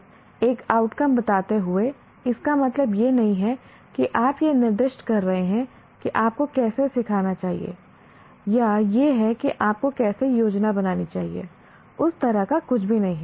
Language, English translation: Hindi, There is, just by stating an outcome, it doesn't mean that you are specifying this is how you should teach or this is how he must plan, no nothing of that kind